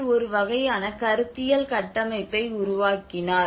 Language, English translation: Tamil, So what she did was she developed a kind of conceptual framework of analysis